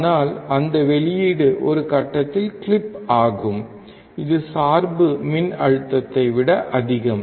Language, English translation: Tamil, But that output will clip at one point which is more than the bias voltage